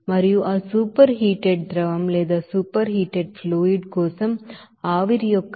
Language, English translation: Telugu, And enthalpy of the vapor for that superheated fluid it will be 180